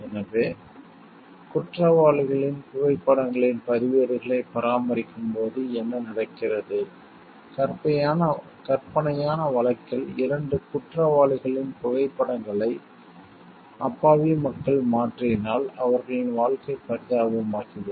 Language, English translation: Tamil, So, what happens like if while maintaining the records of criminals photos of, if suppose in hypothetical case photos of 2 criminals are replaced by innocent people then, their life will become miserable